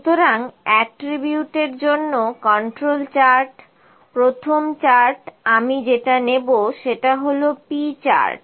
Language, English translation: Bengali, So, Control Charts for Attributes, first chart I will pick is the P chart